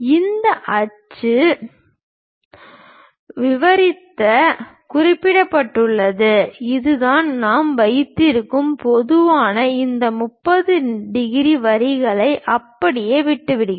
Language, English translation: Tamil, This is the way we keep and typically just to mention this axis labels, we are just leaving this 30 degrees lines as it is